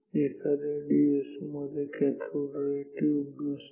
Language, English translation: Marathi, A, DSO does not have a cathode ray tube like this